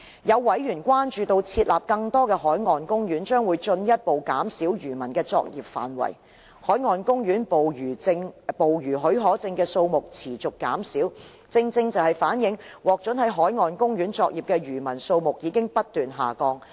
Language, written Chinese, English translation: Cantonese, 有委員關注設立更多的海岸公園將會進一步減少漁民的作業範圍。海岸公園捕魚許可證的數目持續減少，正正反映獲准在海岸公園作業的漁民數目已不斷下降。, Members have expressed concern over the designation of more marine parks which will further reduce the fishing waters of fishermen citing the persistent reduction in the number of marine park fishing permits as an indication of the significant drop in the number of fishermen allowed to operate in marine parks